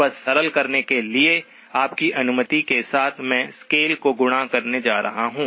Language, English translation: Hindi, Just to simplify, with your permission, I am going to do the scale multiplied